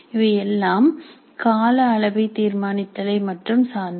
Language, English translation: Tamil, So all of them are concerned with determining the time period only